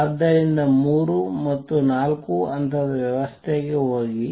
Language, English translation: Kannada, So, go to a three or four level system